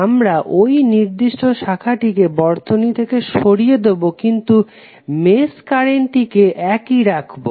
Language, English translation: Bengali, We will remove this particular branch from the circuit while keeping the mesh currents same